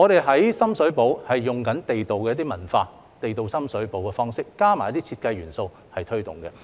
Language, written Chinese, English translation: Cantonese, 在深水埗，我們則以地道文化、地道的深水埗方式，加上一些設計元素來推動。, In Sham Shui Po we have applied the authentic culture the authentic Sham Shui Po style as well as some design elements in our promotion